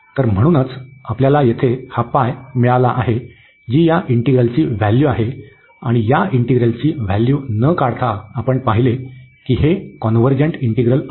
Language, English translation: Marathi, So, the value of this integral is pi, and we have seen before as well without evaluating the value that this is a convergent integral